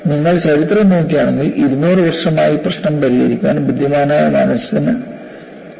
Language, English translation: Malayalam, If you really look at the history, it took brilliant minds to solve this problem for 200 years